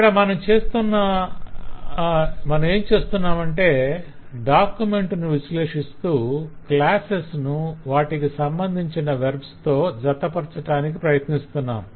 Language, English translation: Telugu, so what i am trying to do is actually analyze the document and trying to associate the class with the verbs that can get related to it